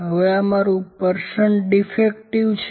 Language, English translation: Gujarati, Now this is my percent defective